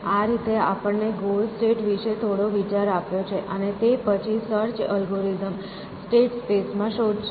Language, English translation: Gujarati, given some idea about the goal state, and then the search algorithm explode the state space